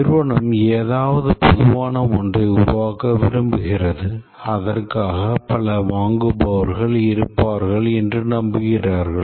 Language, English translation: Tamil, The company wants to develop something hoping that there will be many buyers for it